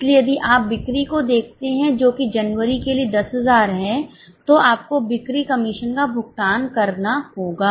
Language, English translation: Hindi, So, if you look at the sales which is 10,000 for January, you need to pay the sales commission